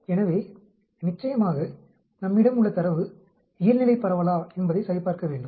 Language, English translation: Tamil, So definitely we need to check whether the data which we have is a Normal distribution